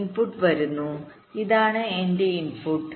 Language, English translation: Malayalam, the input is coming, this my input